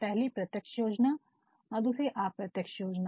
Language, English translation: Hindi, The first is a direct plan and the second is an indirect plan